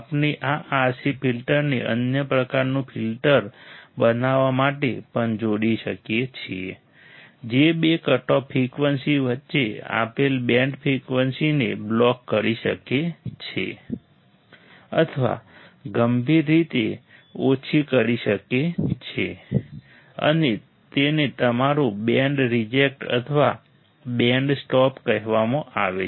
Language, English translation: Gujarati, We can also combine these RC filter to form another type of filter that can block, or severely attenuate a given band frequencies between two cutoff frequencies, and this is called your band reject or band stop